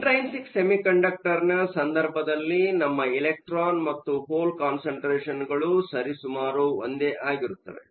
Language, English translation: Kannada, In the case of an intrinsic semiconductor, we have electron and hole concentration to be nearly the same